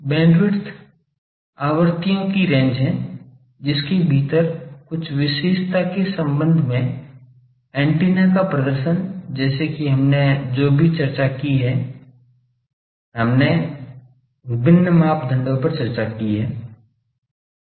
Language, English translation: Hindi, Bandwidth is range of frequencies within which the performance of the antenna with respect to some characteristic, like whatever we discussed that we have discussed various parameters